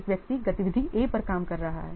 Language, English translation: Hindi, One person is working on activity A here